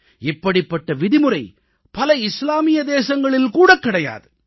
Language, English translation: Tamil, Even in many Islamic countries this practice does not exist